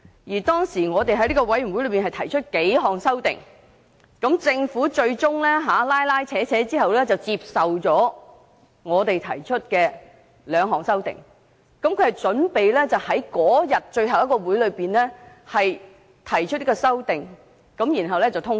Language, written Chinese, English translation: Cantonese, 這個小組委員會當時提出數項修訂，經過一輪拉扯，政府最終接受了我們提出的兩項修訂，並準備在最後一次會議上提出和通過。, At the time the Subcommittee proposed a number of amendments and after several rounds of negotiations the Government finally accepted our two proposed amendments and was prepared to move them at the last meeting for approval